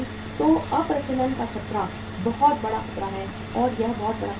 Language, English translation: Hindi, So the threat of obsolescence is the very big big very very big threat or that is very very big risk